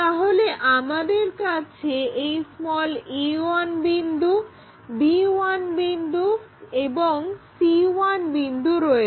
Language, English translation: Bengali, Now, we can project this c point and a point